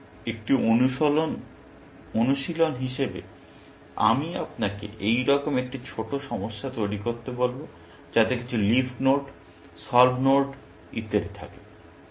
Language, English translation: Bengali, So, as an exercise, I will ask you to construct a small problem like this, with some leaf nodes, solved nodes and so on